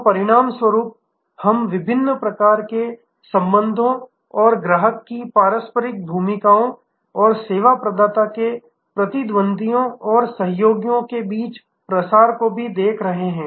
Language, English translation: Hindi, And as a result we are also seeing different kinds of relationships and the diffusion among the traditional roles of customers and service provider’s competitors and collaborators